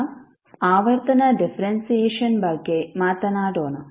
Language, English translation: Kannada, Now let’s talk about the frequency differentiation